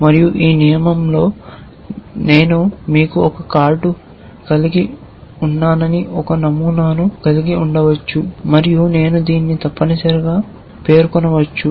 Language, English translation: Telugu, And in this rule I might have a pattern which says that you have a card and I might just specify this essentially